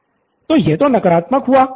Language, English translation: Hindi, So that is the negative